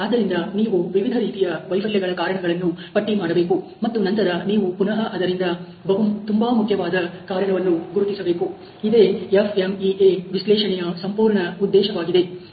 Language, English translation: Kannada, So, you have to list down the cause of various a failures, and then you will have to again identify the most important cause, that is the whole purpose of the FMEA analysis